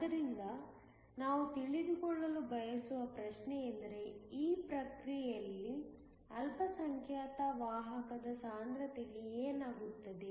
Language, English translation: Kannada, So, the question we want to know is what happens to the minority carrier concentration in this process